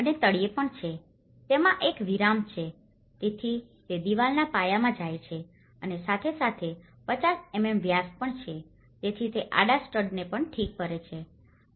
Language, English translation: Gujarati, And there is also in the bottom, it have a recess so it goes into the wall base and as well as 50 mm diameter, so it fix the horizontal stud as well